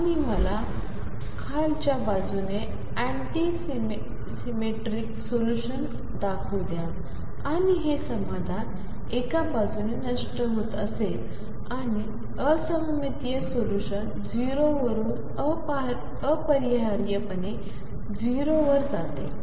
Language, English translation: Marathi, And let me show on the lower side anti symmetric solution and that would be the solution decaying on one side and anti symmetric solution has to go to 0 necessarily through 0